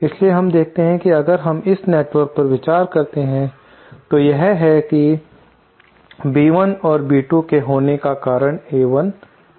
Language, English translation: Hindi, So, we can see that if we consider just this network, then, it is that B1 and B2 are caused by A1 and A2